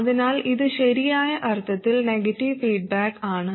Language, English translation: Malayalam, So it is in the correct sense for negative feedback